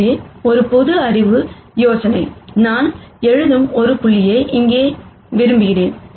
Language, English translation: Tamil, So, a common sense idea would be to say, I want a point here which I write